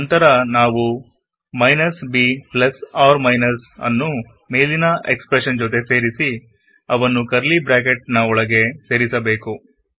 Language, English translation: Kannada, Next, we will add the minus b plus or minus to the above expression and put them inside curly brackets